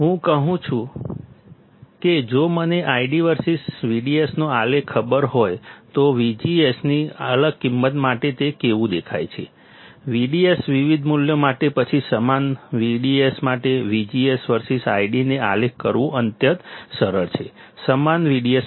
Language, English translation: Gujarati, What I am saying is if I know the plot I D versus V D S, how it looks like for different value of V G S; for V G S different values, then it is extremely easy to plot I D versus V G S for same V D S; for same V D S